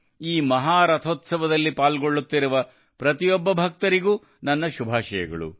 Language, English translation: Kannada, My best wishes to every devotee who is participating in this great festival